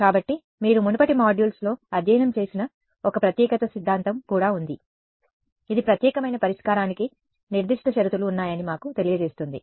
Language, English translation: Telugu, So, there is also a uniqueness theorem which you have studied in the earlier modules, which tells us there is a given certain conditions that the unique solution